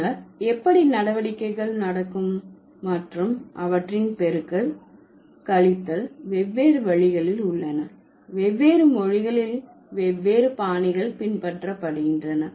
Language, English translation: Tamil, And then how do the operation happens and then multiplication, subtraction, there are also different ways, different languages follow different styles